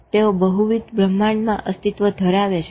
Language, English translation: Gujarati, They are existing in multiple universes